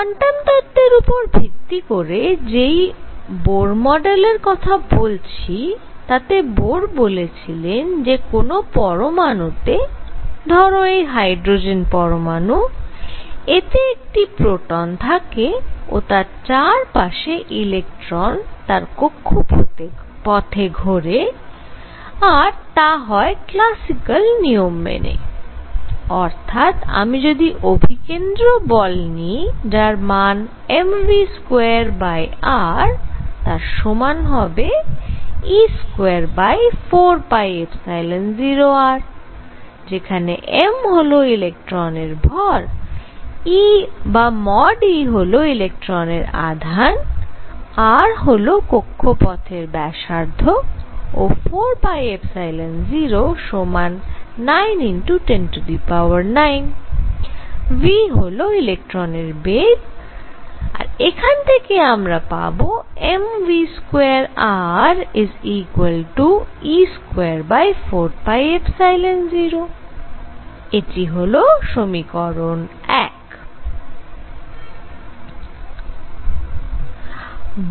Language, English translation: Bengali, So, Bohr model of hydrogen spectrum based on quantum theory; what he said is that in an atom, there is a hydrogen atom, this is a proton around which an electron is going around in orbits and they follow classical law; that means, if I were to take the centripetal force m v square over r, it should be equal to 1 over 4 pi epsilon 0 e square over r where m is the mass of electron e; mod e is charge of electron, r is the radius of this orbit and 4 pi epsilon 0 represents that constant 9 times 10 raise to 9, v, the speed of electron and this gives you m v square r equals e square over 4 pi epsilon 0 that is equation 1